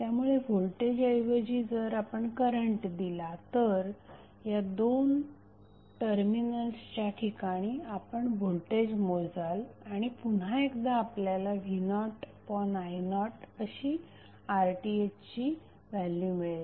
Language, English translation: Marathi, So, instead of voltage source if you apply current source you will measure the voltage across these two terminals and when you measure you will get again the value of R Th as v naught upon i naught